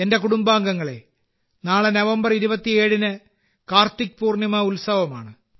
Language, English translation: Malayalam, My family members, tomorrow the 27th of November, is the festival of KartikPurnima